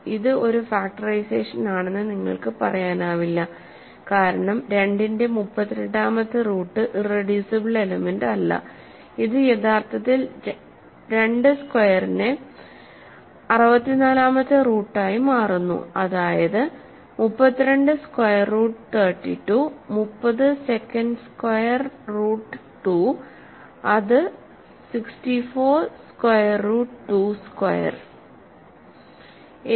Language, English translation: Malayalam, You cannot say this is a factorization because 32nd root of 2 is not an irreducible element, it actually further becomes 64th root of 2 squared that is 32 square root 32 30 second square root of 2 is 64th square root of 2 square